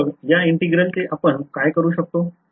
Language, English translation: Marathi, So, what will this integral evaluate to